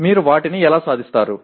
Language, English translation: Telugu, How do you attain them